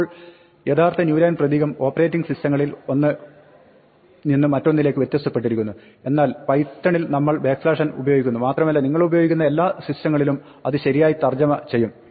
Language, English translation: Malayalam, Now, the actual new line character differs on operating systems from one to the other, but in python if we use backslash n and it will correctly translated in all the systems that you are using